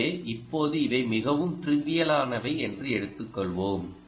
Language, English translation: Tamil, so now lets take a is a pretty trivial things right